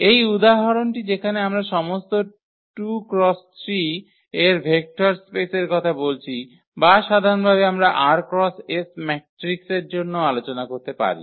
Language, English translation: Bengali, This example where we are talking about the vector space of all 2 by 3 or in general also we can discuss like for r by s matrices